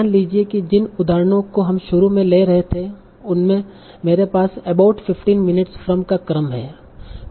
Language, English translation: Hindi, So suppose from the examples that we were taking initially I have the sequence about 15 minutes from